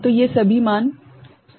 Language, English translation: Hindi, So, these are all 0 value